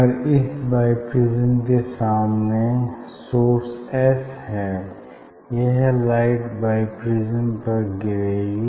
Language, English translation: Hindi, in front of this bi prism if you have a source S; if you have a source S now from source S this light will fall on the bi prism